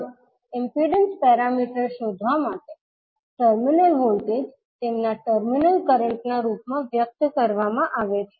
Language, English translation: Gujarati, Now, to determine the impedance parameters the terminal voltages are expressed in terms of their terminal current